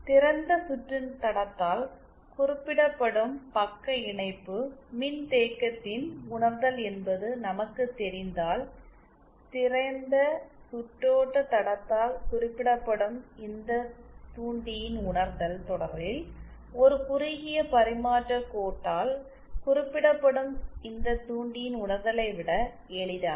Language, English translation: Tamil, As we know realisation of shunt capacitance represented by open circuit line is either then the realisation of this inductor represented by open circuited line is easier than the realisation of this inductor represented by a shorted transmission line in series